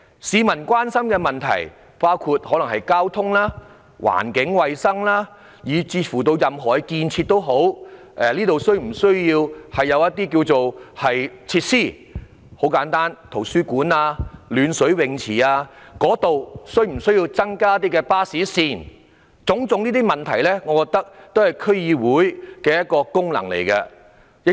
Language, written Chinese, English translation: Cantonese, 市民關心的議題包括交通、環境衞生以至任何建設，例如是否需要增加一些設施如圖書館和暖水泳池或是增加巴士線，這些都屬於區議會的功能。, Issues of public concern range from transport environmental hygiene to any kind of construction for example the need for providing facilities such as libraries and heated swimming pools or introducing additional bus routes . All these are functions of DCs